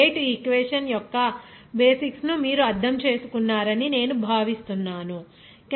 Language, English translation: Telugu, So, I think you have understood the basics of this rate equation